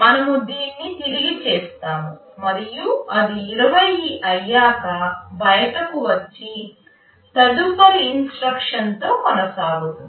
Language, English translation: Telugu, We repeat this and once it becomes 20, it comes out and continues with the next instruction